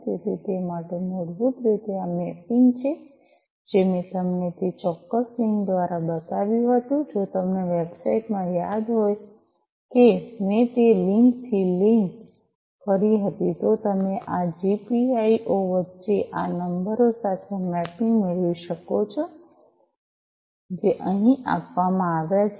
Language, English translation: Gujarati, So, for that basically this mapping, that I had shown you through that particular link if you remember in that website that I had that linked to from that link you can get mapping between this GPIO to these numbers that are given over here